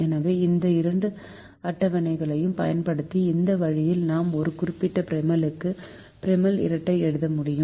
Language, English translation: Tamil, so this way, using both these tables, we will be able to write the, the primal, the, the dual for a given primal